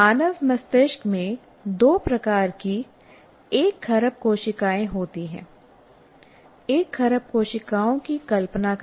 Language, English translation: Hindi, Human brain has one trillion cells of two types